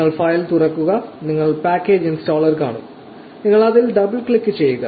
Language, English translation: Malayalam, You just open the file and you will see package installer, you double click it